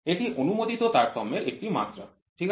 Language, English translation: Bengali, It is a magnitude of permissible variation, ok